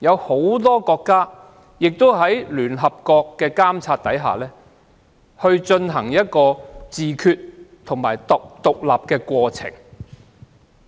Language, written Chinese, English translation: Cantonese, 很多國家在聯合國監察下，進行自決及獨立的過程。, Many countries became independent and exercised self - determination under the supervision of the United Nations